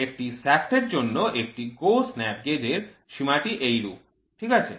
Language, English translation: Bengali, For a shaft for a shaft the limits of GO snap gauge is as follows, right